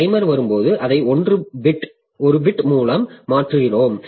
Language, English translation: Tamil, So, when the timer comes, then we are shifting it by 1 bit